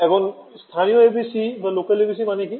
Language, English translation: Bengali, What is the meaning of a local ABC